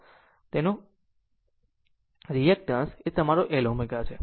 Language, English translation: Gujarati, So, its reactance is your L omega